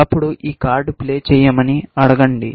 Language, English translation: Telugu, Then, we will say, play this card